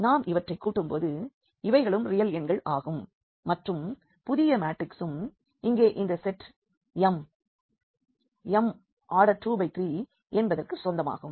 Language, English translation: Tamil, So, here these are all real numbers when we add them they would be also real number and the new matrix will also belongs to this set here m 2 by 3